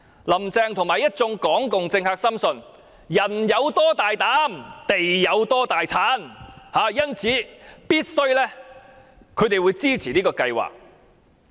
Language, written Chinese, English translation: Cantonese, 林鄭月娥和一眾港共政客深信"人有多大膽，地有多大產"，因此他們必定支持這個計劃。, Carrie LAM and the Hong Kong communist politicians firmly believe that the bolder the man is the higher yields the fields will turn out hence they certainly support this project